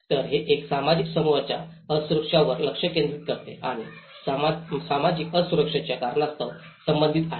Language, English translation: Marathi, So, it focuses on the vulnerability of a social group and is concerned with the causes of the social vulnerability